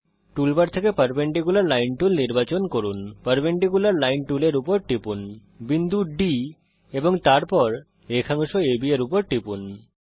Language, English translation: Bengali, Select perpendicular line tool from tool bar,click on the perpendicular line tool, click on the point D and then on segment AB